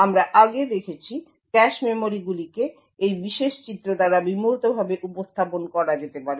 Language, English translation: Bengali, As we have seen before the cache memories could be very abstractly represented by this particular figure